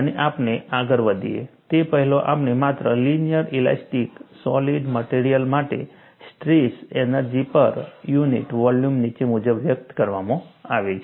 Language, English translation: Gujarati, And before we proceed further, we just recapitulate, for linear elastic solids, the strain energy per unit volume is expressed as follows